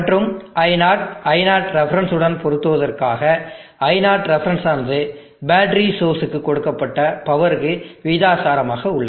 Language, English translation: Tamil, And as I0 matches I0 ref it will ultimately try to reach the I0 not ref, I0 ref is proportional to the power that is being fed into the battery source